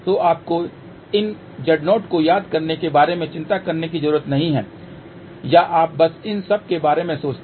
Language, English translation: Hindi, So, you do not have to worry about remembering these Z 0 or you just think about these are all normalized thing